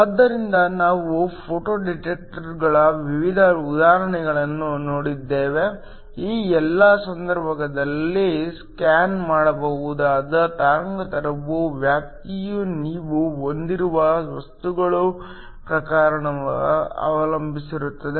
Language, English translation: Kannada, So, We have looked at different examples of photo detectors, in all of these cases the wavelength range that can be scanned depends upon the type of material that you have